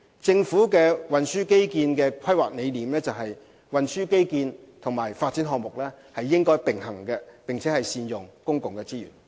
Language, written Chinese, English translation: Cantonese, 政府的運輸基建規劃理念是，運輸基建和發展項目應該並行，並善用公共資源。, The Governments transport infrastructure planning objective is that transport infrastructure and development projects should go in parallel so as to make the best use of public resource